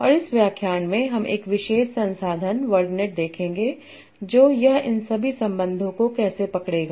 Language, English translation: Hindi, And in this lecture we will see a particular resource, WordNet and how it captures all these relations